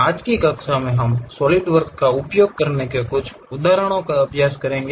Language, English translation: Hindi, In today's class we will practice couple of examples how to use Solidworks